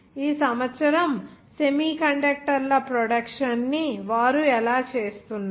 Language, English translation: Telugu, How are they doing this year's production of semiconductors